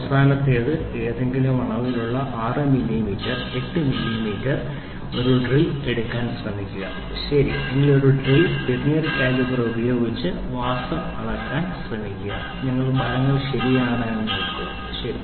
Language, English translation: Malayalam, Then last one is try to take a drill of any dimension 6 millimeter 8 millimeter, right any drill try to measure the diameter using a Vernier caliper and see whether you get the results correct, ok